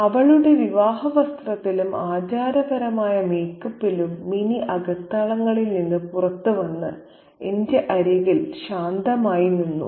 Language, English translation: Malayalam, In her bridal dress and ceremonial makeup, Minnie came out from the inner quarters and stood beside me coyly